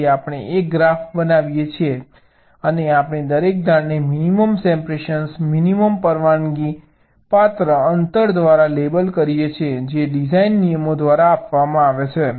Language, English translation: Gujarati, so we construct a graph and we label each of the edges by the minimum separation, ok, minimum allowable distance, which is given by the design rules